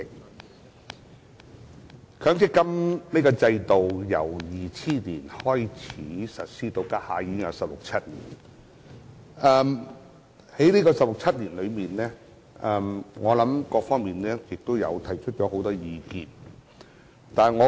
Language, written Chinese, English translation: Cantonese, 強制性公積金制度自2000年開始實施，至今已有十六七年，其間各方面都提出了很多意見。, The Mandatory Provident Fund MPF System has been implemented since 2000 . To date it has been operated for 16 to 17 years during which various sectors have put forth many views